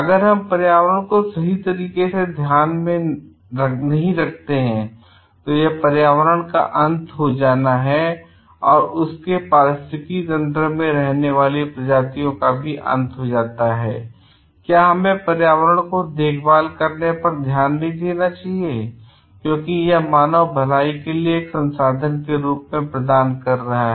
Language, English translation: Hindi, And that should be an end in itself taking care of the environment, the species in the ecosystem is an end in itself and we should not focus on taking care of the environment because it is providing as a resource for the human wellbeing